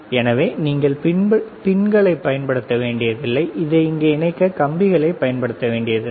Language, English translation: Tamil, So, you do not have to use the pins, you do not have to use the wires to connect it here